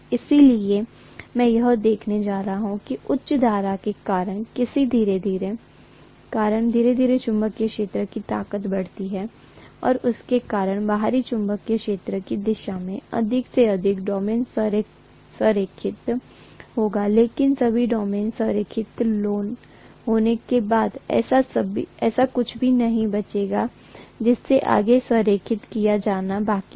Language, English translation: Hindi, So I am going to see that slowly as the strength of the magnetic field increases due to higher and higher current I am going to have more and more domains aligned along the direction of the external magnetic field, but after all the domains are aligned, there is nothing that is left over to be aligned further